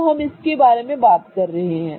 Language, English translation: Hindi, Okay, so that's the one we are talking about